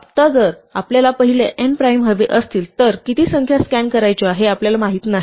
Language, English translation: Marathi, Now, if we want the first n primes, we do not know how many numbers to scan